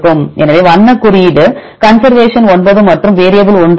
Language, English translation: Tamil, So, color code they put the conservation is 9 and variable has 1